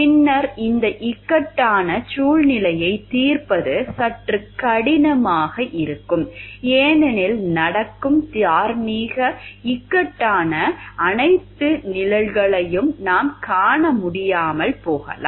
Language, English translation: Tamil, Then solving this dilemma becomes a somewhat which your difficult because, we may not be able to see the all the shades of the moral dilemma that is happening